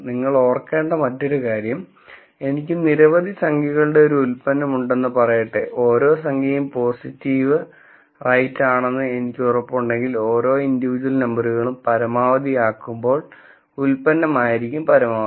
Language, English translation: Malayalam, The other thing that you should remember is let us say I have a product of several numbers, if I am guaranteed that every number is positive right, then the product will be maximized when each of these individual numbers are maximized